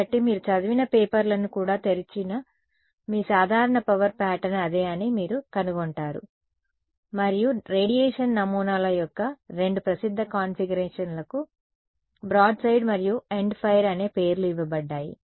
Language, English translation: Telugu, So, that is your typical power pattern which you even you open papers you read that is what you will find and two popular configurations of radiation patterns are given names broadside and endfire ok